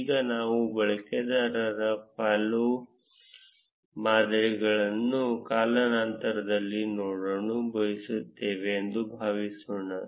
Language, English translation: Kannada, Now suppose we would like to see the follow patterns of a user over time